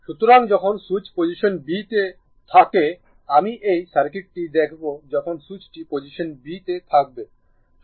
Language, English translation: Bengali, So, when switch is in position b I will look into this circuit when switch is in position b at the here at the position b